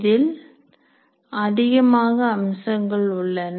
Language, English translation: Tamil, There are lots of features